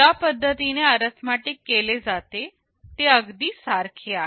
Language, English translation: Marathi, The way the arithmetic is carried out is exactly identical